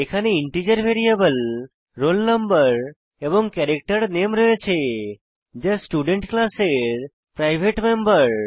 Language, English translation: Bengali, Then we have an integer variable roll no and character array name, as private members of class student